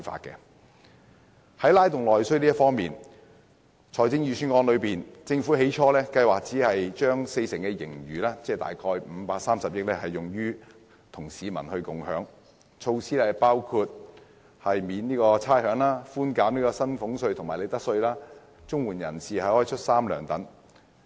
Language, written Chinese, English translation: Cantonese, 關於"拉動內需"方面，政府在公布財政預算案時，本來計劃與民共享四成盈餘，即約530億元，推出的措施包括寬免差餉、寬減薪俸稅及利得稅、綜援人士出"三糧"等。, Insofar as stimulating internal demand is concerned when announcing the Budget the Government originally planned to share with the public 40 % of its surplus of approximately 53 billion by launching such measures as rates concession reducing salaries tax and profits tax triple payment of Comprehensive Social Security Assistance and so on